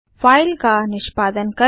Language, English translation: Hindi, Lets execute the file